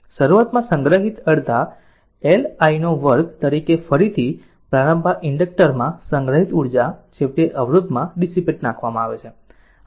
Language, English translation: Gujarati, Initially as stored half L I 0 square again the energy initially stored in the inductor is eventually dissipated in the resistor right